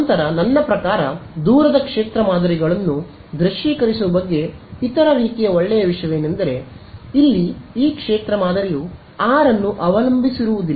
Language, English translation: Kannada, Then, I mean the other sort of nice thing about visualizing far field patterns is that this field pattern here does not depend on r